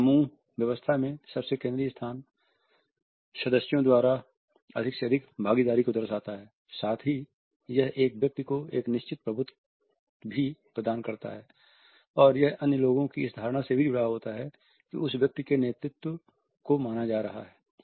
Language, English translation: Hindi, The most central location in a group physical arrangement allows for greater participation by the members, at the same time it also provides a certain dominance to a person and it is also linked with the perception of other people that the leadership of that individual is being perceived